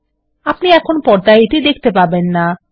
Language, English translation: Bengali, You cannot see it on the screen right now